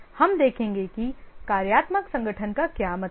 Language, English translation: Hindi, We will look at what is meant by functional organization